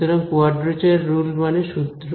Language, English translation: Bengali, So, quadrature rule means a formula ok